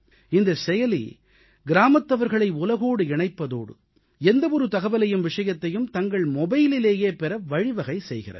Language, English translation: Tamil, This App is not only connecting the villagers with the whole world but now they can obtain any information on their own mobile phones